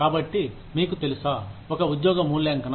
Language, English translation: Telugu, So, you know, one is job evaluation